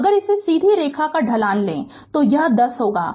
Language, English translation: Hindi, So, if you take the slope of this straight line, it will be this is 10